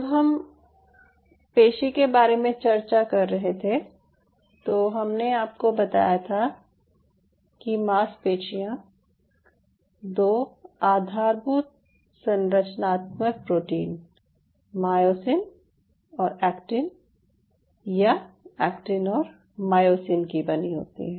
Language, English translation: Hindi, in other word, just to take you a little bit to the molecular side of it, while we were discussing the muscle, i told you the muscles are made up of two key structural proteins: myosin and actin, or actin and myosin